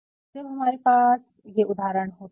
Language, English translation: Hindi, So, when we have all these examples